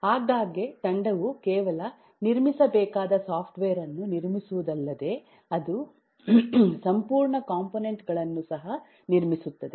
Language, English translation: Kannada, so often it turns out that a team might end up building not only the software that the team needs to build, but it also builds a whole lot of components